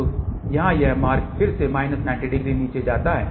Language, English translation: Hindi, So, this path here again leads to minus 90 degree